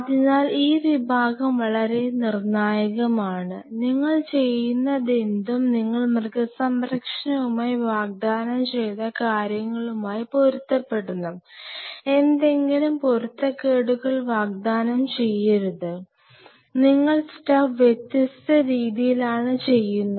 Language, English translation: Malayalam, So, this part is very critical and whatever you do should tally with what you have promised with animal ethics people, should there should not be any discrepancy promise something and you do the stuff different way